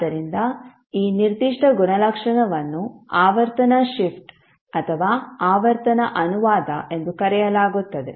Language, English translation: Kannada, So this particular property is called as frequency shift or frequency translation